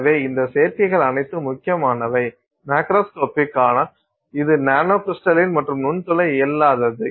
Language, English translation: Tamil, So, all these combinations are important that it is macroscopic and but it is nanocrystalline and also non porous